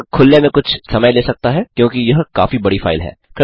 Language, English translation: Hindi, It might take some time to open since it is quite a large file